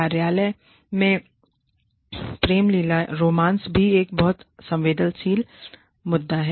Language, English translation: Hindi, Office romance is a very sensitive issue